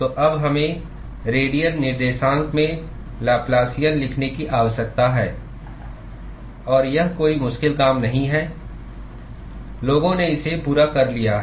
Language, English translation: Hindi, So, now, we need to write the Laplacian in the radial coordinates; and that is not a difficult task to do, people have worked it out